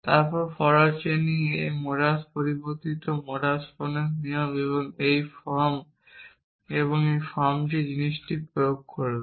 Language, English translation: Bengali, Then forward chaining would apply this modus modified modus ponens rules and in this form and this form this